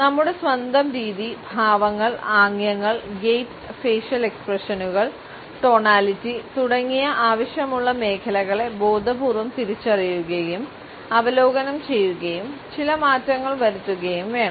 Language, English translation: Malayalam, We should review our own mannerism, postures, gestures, gait, facial expressions, tonality etcetera and consciously identify those areas which requires certain change